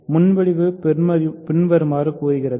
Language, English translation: Tamil, So, the proposition says the following